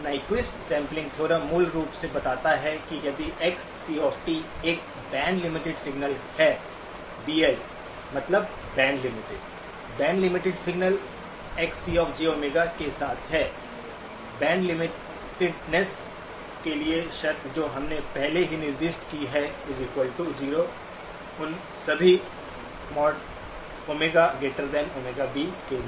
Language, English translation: Hindi, The Nyquist sampling theorem basically states that if Xc of t is a band limited signal, BL stands for band limited, band limited signal with Xc of j Omega, the condition for band limitedness we have already specified, equal to 0 for mod Omega greater than or equal to Omega B